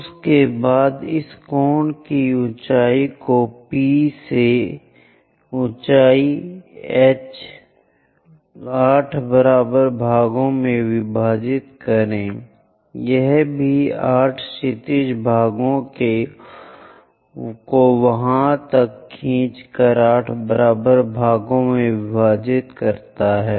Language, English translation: Hindi, After that divide this cone height also all the way from P to height h into 8 equal parts, this one also divide into 8 equal parts by drawing horizontal lines all the way up to there